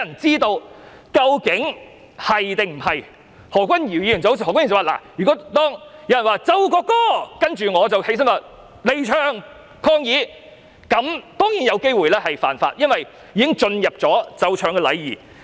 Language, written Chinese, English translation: Cantonese, 正如何君堯議員所說，如果有人說"奏國歌"，然後我離場抗議，這樣當然有機會犯法，因為已經涉及奏唱禮儀。, As indicated by Dr Junius HO I will possibly commit an offence if I leave in protest when someone has declared the playing of the national anthem for this already involves the etiquette for playing and singing the national anthem